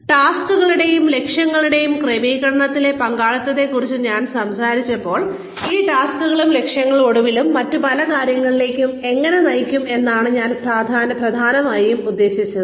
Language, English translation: Malayalam, When I talked about involvement in the setting of tasks and objectives, I essentially meant that, how these tasks and objectives, can eventually lead to various other things